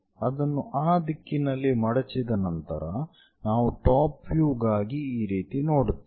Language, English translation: Kannada, That after folding it into that direction we see it in this way for the top view